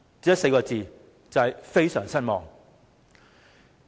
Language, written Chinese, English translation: Cantonese, 只有4個字，非常失望。, I can only describe it with two words extreme disappointment